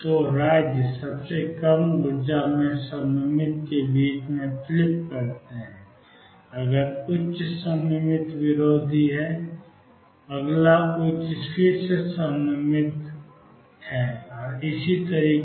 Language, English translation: Hindi, So, the states flip between symmetric in the lowest energy, next higher is anti symmetric, next higher is again symmetric and so on